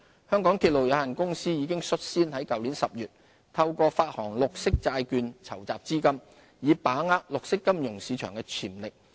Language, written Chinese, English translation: Cantonese, 香港鐵路有限公司已率先在去年10月透過發行綠色債券籌集資金，以把握綠色金融市場的潛力。, To tap into the potential of the green finance market the Mass Transit Railway Corporation Limited took the lead in raising capital through the issuance of green bonds last October